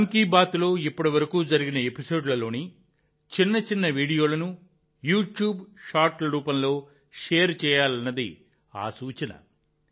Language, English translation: Telugu, The suggestion is to share short videos in the form of YouTube Shorts from earlier episodes of 'Mann Ki Baat' so far